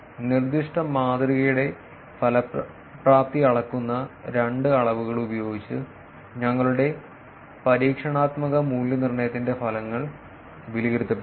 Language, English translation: Malayalam, The results of our experimental evaluation are assessed using two metrics which measure the effectiveness of the proposed model